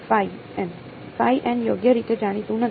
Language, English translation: Gujarati, Phi n is not known right